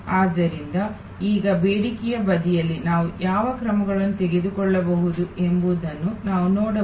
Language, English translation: Kannada, So, now, we can look at what actions can we take on the demand side